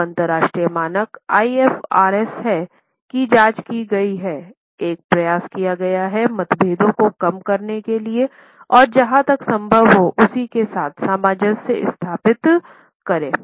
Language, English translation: Hindi, Now, international standard which is IFRS has been examined and effort has been made to bring down the differences and as far as possible harmonize the same